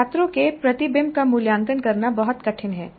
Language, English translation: Hindi, So it is very difficult to evaluate the reflection that the students go through